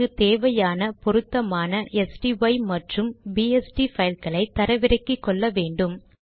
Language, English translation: Tamil, One only needs to download the appropriate sty and bst files